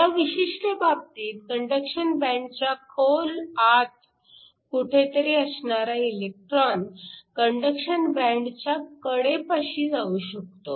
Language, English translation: Marathi, In this particular case, can have an electron within the bulk of the conduction band and can go to the edge of the conduction band